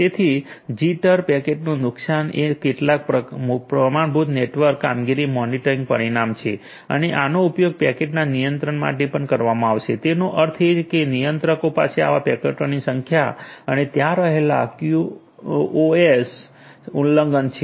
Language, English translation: Gujarati, So, jitter, packet loss is a some of the standard network performance monitoring parameters and these will be used plus for at the controller in the packet in; that means, the number of packets that are coming to the controller and the QoS violations that are there so, all of these will be measured and will be shown